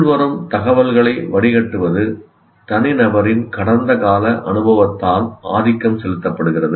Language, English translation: Tamil, The filtering of incoming information is dominated, dominantly done by past experience of the individual